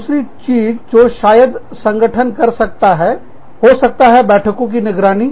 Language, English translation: Hindi, The other thing, that organizations might do, could be, the surveillance of meetings